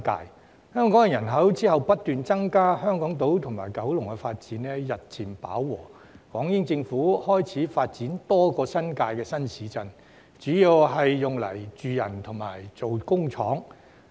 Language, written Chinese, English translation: Cantonese, 其後，香港人口不斷增加，香港島及九龍的發展日漸飽和，港英政府開始發展多個新界新市鎮，主要是用來興建住宅及工廠。, Subsequently as the population of Hong Kong continued to grow little room was left on Hong Kong Island and in Kowloon for further development . The British Hong Kong Government then began to develop new towns in the New Territories but there were mainly residential units and factories